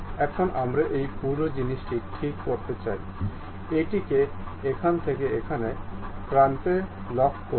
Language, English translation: Bengali, Now, we want to really fix this entire thing, lock it from here to one of the end